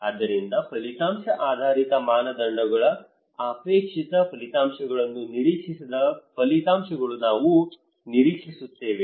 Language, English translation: Kannada, So then outcome based criterias we expect that what are the results expected desired results okay